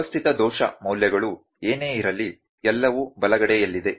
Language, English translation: Kannada, Systematic error whatever the values are there all on the right hand side